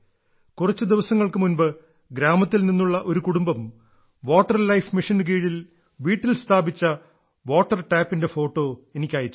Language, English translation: Malayalam, Just a few days ago, a family from a village sent me a photo of the water tap installed in their house under the 'Jal Jeevan Mission'